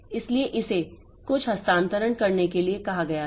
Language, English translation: Hindi, O device, so it was told to do some transfer